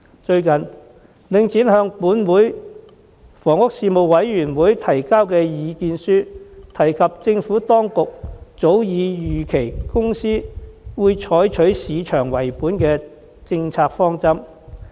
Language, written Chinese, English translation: Cantonese, 最近，領展向立法會房屋事務委員會提交意見書，提及政府當局早已預期該公司將採取市場為本的政策方針。, In a recent submission to the Panel on Housing of the Legislative Council Link REIT mentioned that the Government had anticipated that a market - oriented approach would be adopted by the company . The is precisely the crux of our present criticisms of Link REIT